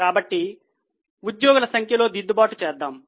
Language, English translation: Telugu, So, we will do the correction in the number of employees